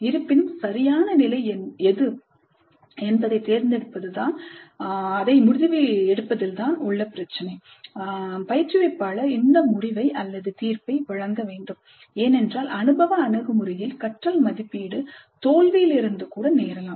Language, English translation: Tamil, However the choice of what is the right level is an issue of judgment instructor has to make this judgment because experiential approach values learning that can occur even from failures